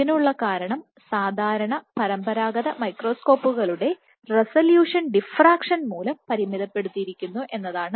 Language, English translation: Malayalam, And the reason for this is because the resolution, the resolution of normal conventional microscopes is limited by diffraction ok